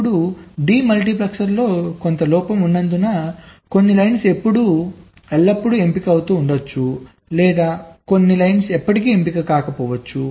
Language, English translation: Telugu, now, because of some fault in the demultiplexer, some of the lines may be always getting selected, or some the lines are getting never selected right due to some problems in the control circuit